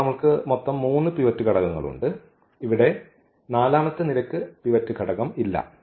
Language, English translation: Malayalam, So, we have the three pivot elements and here we do not have this pivot element this is not the pivot element